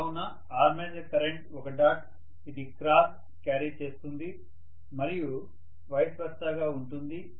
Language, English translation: Telugu, So, the armature current is a dot this will be carrying cross and vice versa